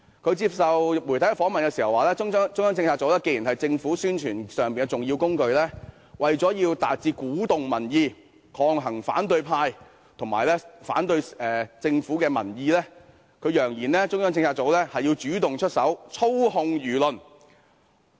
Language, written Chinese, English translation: Cantonese, 他接受媒體訪問時表示，中策組既然是政府的重要宣傳工具，為了鼓動民意，抗衡反對派及反對政府的民意，他揚言中策組要主動出手，操控輿論。, In an interview by the media he brazenly said that since CPU was an important publicity tool of the Government in order to incite public sentiments to counteract the opposition camp and the peoples objections to the Government CPU should take action proactively to control public opinion